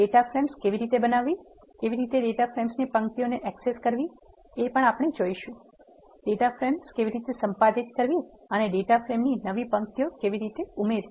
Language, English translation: Gujarati, How to create data frames, how to access rows and columns of data frame, how to edit data frames and how to add new rows and columns of the data frame